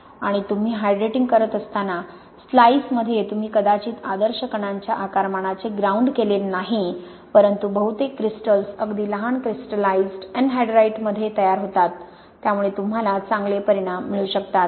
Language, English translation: Marathi, And in the slices when you are hydrating, Ok you have not ground that maybe to the ideal particle size but most of the crystals are formed in very small crystallized anhydrite, so you can get quite good results